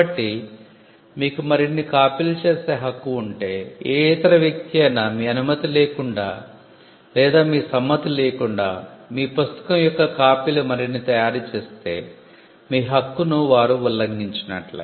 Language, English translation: Telugu, So, if you have the right to make further copies, any other person who does this, making further copies of your book without your approval or your consent is said to be infringing your right that person is violating a right that you have